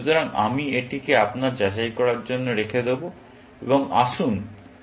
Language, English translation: Bengali, So, I will leave that for you to verify, and let us see this one and this one